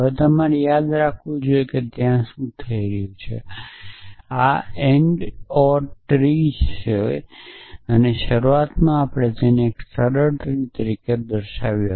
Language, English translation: Gujarati, Now, you must recall what does happening there you are searching this ando tree and well initially we had pouse it as a simple odd tree